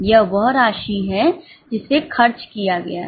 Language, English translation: Hindi, This is the amount which has been spent